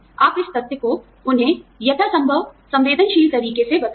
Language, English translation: Hindi, You communicate this fact to them, in as sensitive a manner, as possible